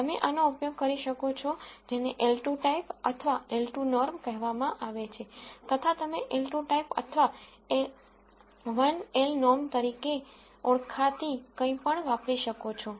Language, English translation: Gujarati, You can use this is what is called the L 2 type or L 2 norm you can also use something called an L type or 1 an L 1 norm